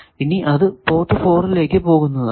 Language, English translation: Malayalam, How much is coming out of port 4